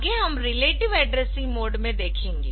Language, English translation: Hindi, Next we will look into relative addressing